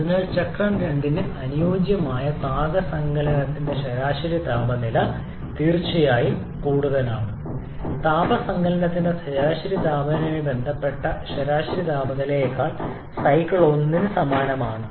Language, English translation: Malayalam, So, the average temperature of heat addition corresponding to the cycle 2 is definitely greater than the average temperature corresponding to the average temperature of heat addition corresponding to cycle 1